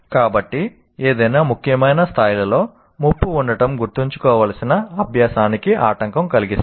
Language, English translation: Telugu, So, presence of threat in any significant degree impedes learning